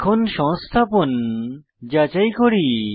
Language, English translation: Bengali, Now let us verify the installation